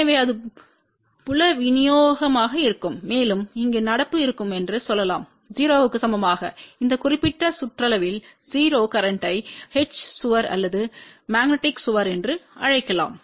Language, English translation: Tamil, So, that will be the field distribution and over here we can say current will be equal to 0 a 0 current at this particular periphery can be also termed as H wall or magnetic wall